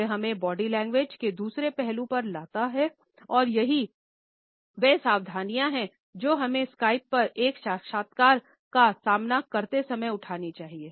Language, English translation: Hindi, It brings us to another aspect of body language and that is the precautions which we should take while facing an interview on Skype